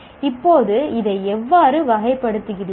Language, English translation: Tamil, Now how do I characterize this